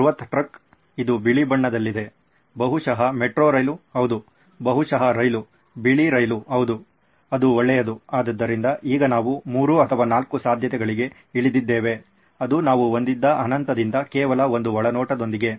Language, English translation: Kannada, A massive truck, which is white in color, maybe a metro train yeah, maybe a train itself, a white train yeah, that’s the good one, so now we are down to 3 or 4 possibilities that’s it, from the infinite that we had with just one insight